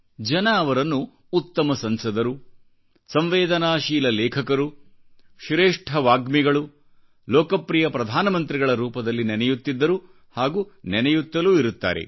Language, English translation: Kannada, People remembered him as the best member of Parliament, sensitive writer, best orator and most popular Prime Minister and will continue to remember him